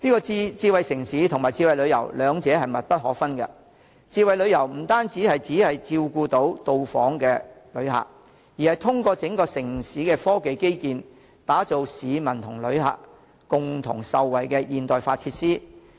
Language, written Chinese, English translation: Cantonese, 智慧城市與智慧旅遊兩者密不可分，智慧旅遊不但照顧訪港旅客，更通過整個城市的科技基建，打造市民和旅客共同受惠的現代化設施。, Smart city and smart tourism are closely related . Smart tourism not only caters for inbound visitors both members of the public and visitors will benefit from the scientific infrastructure of the entire city